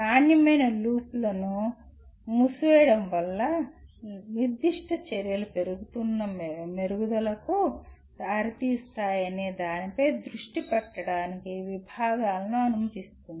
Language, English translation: Telugu, Closing the quality loop enables the departments to focus on what specific actions lead to incremental improvements